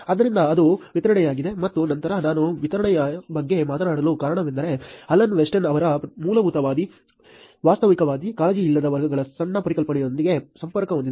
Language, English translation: Kannada, So, that is the distribution and then the reason why I am talking about distribution is connected to the small concept of Alan Weston’s categories of fundamentalist, pragmatist, unconcerned